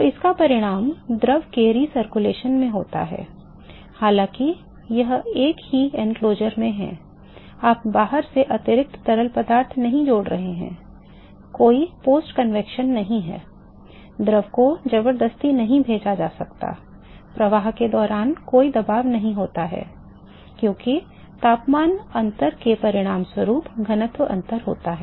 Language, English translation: Hindi, So, this results in a recirculation of the fluid although it is in the same enclosure, you are not adding extra fluid from outside there is no post convection the fluid is not forced to go there is no pressure during flow it simply, because of the temperature difference it results in the density difference